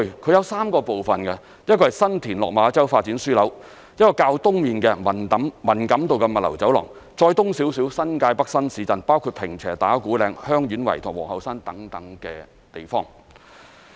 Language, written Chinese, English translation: Cantonese, 這有3個部分，一個是新田/落馬洲發展樞紐、一個是較東面的文錦渡物流走廊，以及再往東面的新界北新市鎮，包括坪輋、打鼓嶺、香園圍和皇后山等地方。, It comprises three parts the first is the San TinLok Ma Chau Development Node the second is the Man Kam To logistics Corridor to the East and the third is the new towns of the New Territories North to further East including Ping Che Ta Kwu Ling Heung Yuen Wai and Queens Hill